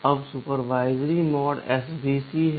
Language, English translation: Hindi, Now, the supervisory mode is svc